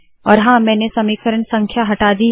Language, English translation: Hindi, And of course I have removed the equation numbers